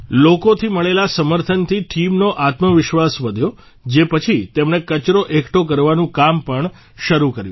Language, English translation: Gujarati, The confidence of the team increased with the support received from the people, after which they also embarked upon the task of collecting garbage